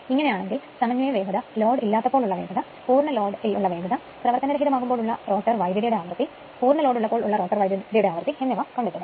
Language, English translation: Malayalam, Find the a synchronous speed, b no load speed, c full load speed, d frequency of rotor current at standstill, and e frequency of rotor current at full load right